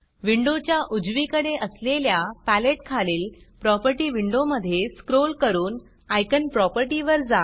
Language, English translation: Marathi, In the Properties window, below the palette, on the right hand side of the window, scroll to the Icon property